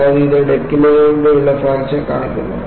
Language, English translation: Malayalam, And, this shows the fracture through the deck